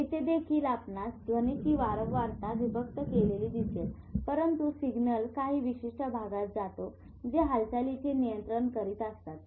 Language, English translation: Marathi, Now it is important here also if you see in the sound frequency is separated but signal also goes to certain areas which control movement